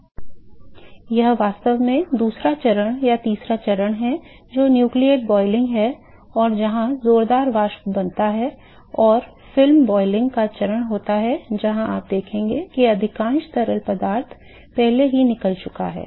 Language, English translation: Hindi, So, that is actually the second stage or third stage which is nucleate boiling where there is vigorous vapor which is formed and film boiling is the stage where you will see that most of fluid is already gone